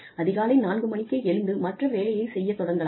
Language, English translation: Tamil, And, may be able to get up, at 4 in the morning, again, and start doing things